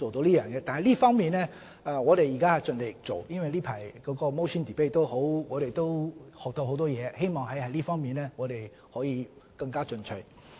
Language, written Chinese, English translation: Cantonese, 在這方面，我們現時盡力在做，我們從近來的 motion debate 亦學習到很多東西，希望在這方面可以更進取。, We are doing our best to accomplish this aim . We have learnt a lot from a recent motion debate so we hope that we can be more proactive in this regard